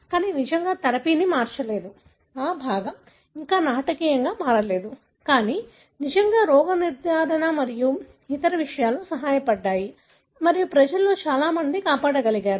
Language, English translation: Telugu, But really has not changed away the therapy, that part is not yet changed dramatically, but really the diagnosis and other things have helped and people are able to save many and so on